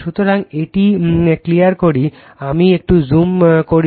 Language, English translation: Bengali, So, let me increase the zoom